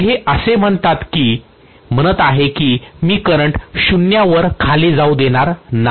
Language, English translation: Marathi, So it is going to say that I would not allow the current to go down to 0